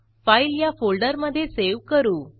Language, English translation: Marathi, We will save the file inside this folder